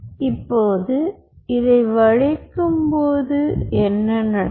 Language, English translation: Tamil, now, during this bending, what will happen